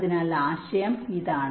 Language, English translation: Malayalam, this is the basis idea